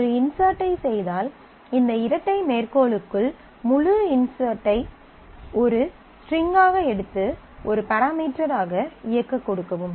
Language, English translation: Tamil, So, again this particular record, you can see that within this double quote, this whole insert syntax you take that as a string and just give it to execute as a parameter